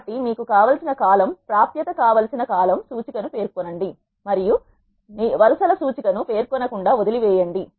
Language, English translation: Telugu, So, specify the column index which you want access and leave the rows index unspecified